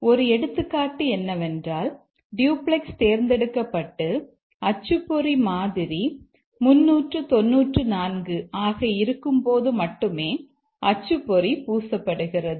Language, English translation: Tamil, An example is that the printout is smeared only when the duplex is selected and the printer model is 394